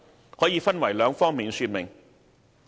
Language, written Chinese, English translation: Cantonese, 有關工作可分為兩方面說明。, I will elaborate on two areas the relevant work